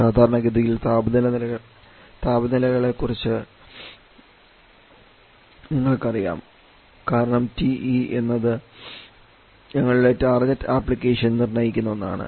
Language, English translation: Malayalam, Commonly we are aware about the temperature levels because it is something that is determined by our target application